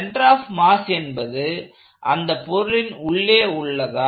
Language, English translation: Tamil, So, the center of mass now has is a point inside the body